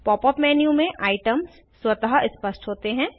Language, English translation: Hindi, The items in the Pop up menu are self explanatory